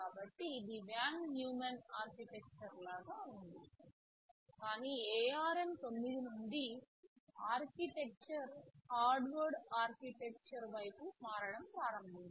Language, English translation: Telugu, So, it was like a von Neumann architecture, but from ARM 9 onwards the architecture became it started a shift towards Harvard architecture right